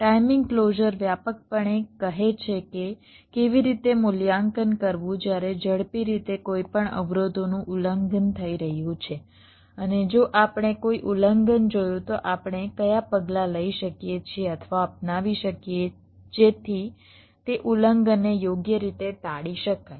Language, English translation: Gujarati, timing closer broadly says that how to evaluate, while in a fast way, whether any of the constraints are getting violated and if we see any violation, what are the measures we can possibly take or adopt so as those violations can be avoided